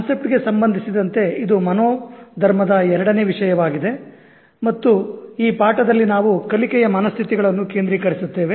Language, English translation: Kannada, As far as the concept is concerned, this is the second topic on mindset and in this lesson we will focus on learning mindsets